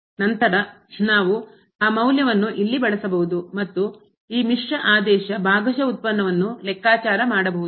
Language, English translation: Kannada, Then we can use that value here and compute this mixed order partial derivative